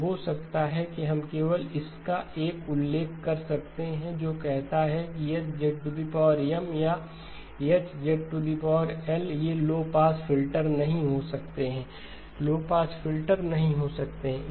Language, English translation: Hindi, So maybe we can just make a mention of it which says H of Z power M or H of Z power L these cannot be low pass filters, cannot be low pass filter